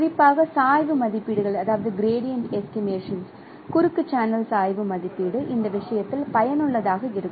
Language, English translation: Tamil, So, particularly the gradient estimations, cross channel gradient estimation is useful in this respect